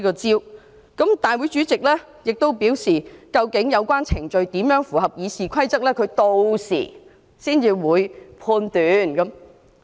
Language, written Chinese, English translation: Cantonese, 而大會主席亦表示，究竟有關程序要怎樣才符合《議事規則》，他屆時才會判斷。, Also the President of this Council has stated that he would examine how the relevant procedures could comply with RoP at that time